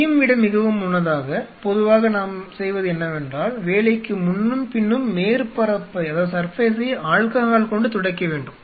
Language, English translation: Tamil, Much earlier than that what generally we do is you step one you wipe the surface with alcohol before and after the work